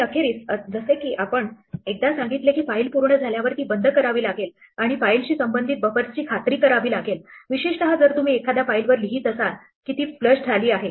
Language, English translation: Marathi, And finally, as we said once we are done with a file, we have to close it and make sure the buffers that are associated with the file, especially if you are writing to a file that they are flushed